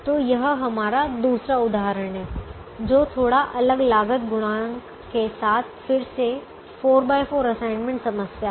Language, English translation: Hindi, so this is second example, which is again a four by four assignment problem with slightly different cost coefficients